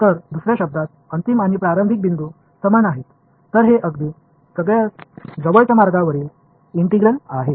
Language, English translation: Marathi, So, in other words, the final and the starting point are the same, then this is true right the integral over close paths